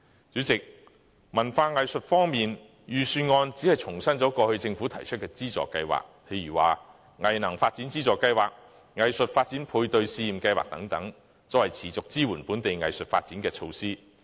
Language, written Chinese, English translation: Cantonese, 主席，在文化藝術方面，預算案只重申了政府過去提出的資助計劃，例如"藝能發展資助計劃"、"藝術發展配對資助試驗計劃"等，作為持續支援本地藝術發展的措施。, President on culture and arts the Budget has merely restated the funding schemes put forward by the Government in the past for instance the Arts Capacity Development Funding Scheme and the Art Development Matching Grants Pilot Scheme as regular supporting measures for local arts development